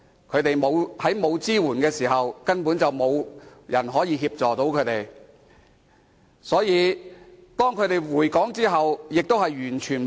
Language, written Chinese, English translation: Cantonese, 在缺乏支援的情況下，根本沒有人協助他們，所以，當他們回港後，亦求助無門。, Without any support measures in place there is simply no one to give them assistance and it follows that they have nowhere to turn to for assistance when they are back in Hong Kong